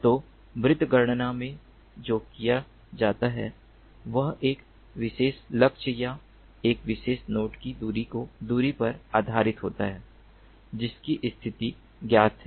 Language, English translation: Hindi, so in dead reckoning what is done is based on the distance from a particular target or a particular node whose position is known